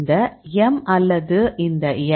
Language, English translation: Tamil, So, this m or this x